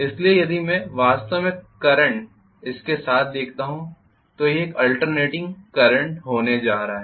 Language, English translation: Hindi, So the current if I look at it actually along this it is going to be alternative current